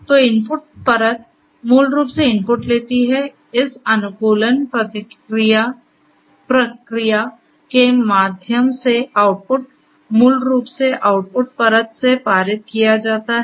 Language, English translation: Hindi, So, input layer basically takes the inputs, the output through this you know this optimization process is basically passed from the output layer